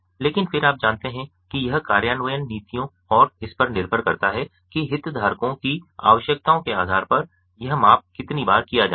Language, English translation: Hindi, it is possible, but then you know it depends on the implementation policies and so on that how often this measurement is going to be done, based on the requirements of the stakeholders